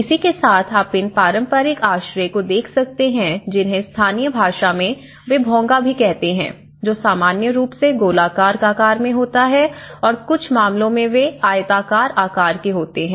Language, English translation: Hindi, Whereas, you can see these traditional shelter forms in local language they call also the Bhongas which is normally there in circular shape and in some cases they are in a kind of rectangular shape